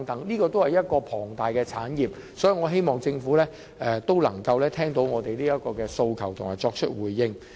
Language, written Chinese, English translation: Cantonese, 這些也是龐大的產業，所以，我希望政府能夠聽到我們的訴求，並作出回應。, All these are large industries too . So I hope that the Government can hear our aspirations and give a response